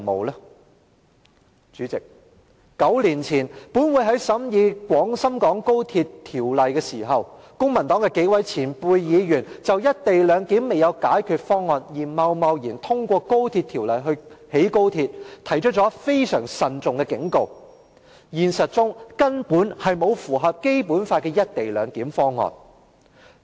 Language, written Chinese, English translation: Cantonese, 代理主席 ，9 年前，本會在審議廣深港高速鐵路香港段工程項目時，公民黨幾位前輩議員曾就"一地兩檢"未有解決方案而貿然通過興建高鐵的計劃，提出了非常慎重的警告：現實中根本沒有符合《基本法》的"一地兩檢"方案。, Deputy President nine years ago when this Council examined the works project of the Hong Kong Section of XRL several senior Members my predecessors in the Legislative Council from the Civic Party already raised a serious warning about approving the XRL project before solving the co - location arrangement . In reality there was no co - location arrangement that could comply with the Basic Law